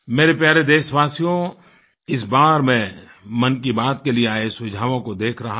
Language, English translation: Hindi, I was looking into the suggestions received for "Mann Ki Baat"